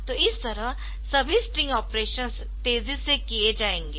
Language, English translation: Hindi, So, overall the string operations will be made faster